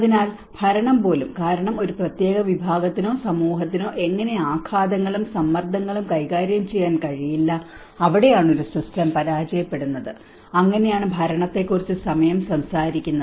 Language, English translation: Malayalam, So even the governance because how one particular community or society is unable to handle shocks and stresses and that is where a system how it fails, so that is where the time talk about the governance